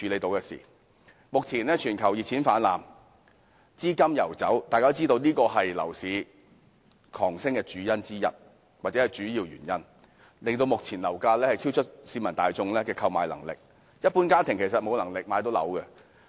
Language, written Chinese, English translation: Cantonese, 目前，全球熱錢泛濫，資金游走，大家都知道這是樓市狂飆的主要原因，以致目前樓價超出市民大眾的購買能力，一般家庭根本買不起。, At present we all know that an influx of hot money and a free flow of capital are the main reasons for the irrational exuberance in the property market . The current property prices are well beyond the affordability of the general public . Ordinary families simply cannot afford home acquisition